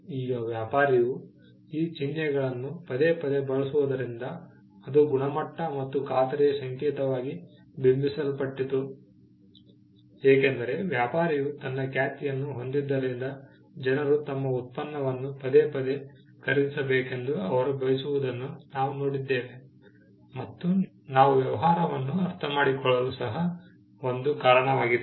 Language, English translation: Kannada, Now, we also saw that later on the fact that, the trader would use the mark repeatedly and it gained a quality and a guarantee function because the trader had a reputation he would also want people to repeatedly buy his product and which we saw as one of the reasons by which we understand the business